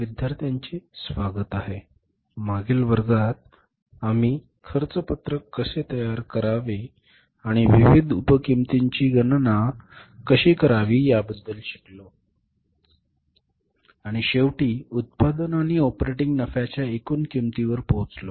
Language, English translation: Marathi, So, in the previous class we learned about how to prepare the cost sheet and how to calculate the different sub costs and finally arrived at the total cost of production and the operating profit